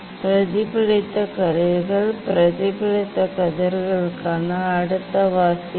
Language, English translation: Tamil, then next reading for the reflect reflected rays reflected rays